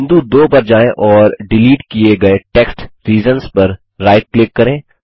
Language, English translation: Hindi, Go to point 2 and right click on the deleted text reasons and say Accept Change